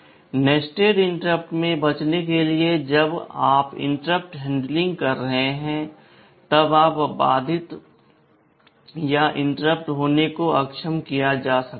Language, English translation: Hindi, In order to avoid nested interrupt from coming while you are doing the interrupt handling, interrupt can be disabled